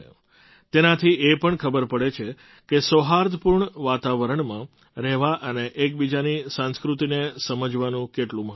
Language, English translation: Gujarati, These also show how important it is to live in a harmonious environment and understand each other's culture